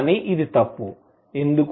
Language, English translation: Telugu, But this is wrong, why